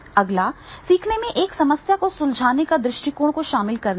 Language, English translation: Hindi, Next is employ a problem solving approach to the learning